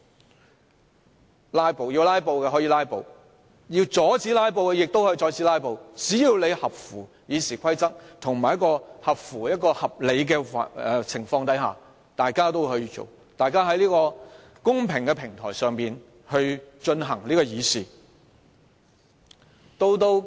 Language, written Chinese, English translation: Cantonese, 想"拉布"的議員可以"拉布"，想阻止"拉布"的議員亦可以阻止"拉布"，只要合乎《議事規則》的規定，以及在合理的情況下便可，大家在這個公平的平台上議事。, Members who wished to filibuster might do so and Members who wished to curb filibusters might also go ahead as long as they acted in accordance with RoP as appropriate and Members could deliberate issues on a fair platform